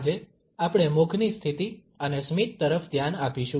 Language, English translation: Gujarati, Today, we shall look at the positioning of the mouth and a smiles